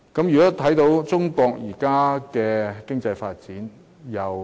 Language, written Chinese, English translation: Cantonese, 我們看看中國現時的經濟發展。, Let us take a look at Chinas current economic development